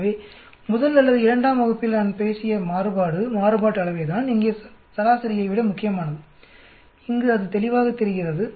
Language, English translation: Tamil, So variant I talked in the first or second class that variance is more important than mean which is coming out very clearly here